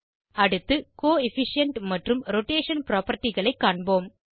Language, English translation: Tamil, Next let us check the Coefficient and Rotation properties